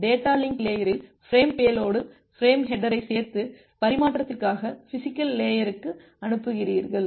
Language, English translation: Tamil, At the data link layer, you add up the frame header with the frame payload and send it to the physical layer for physical transmission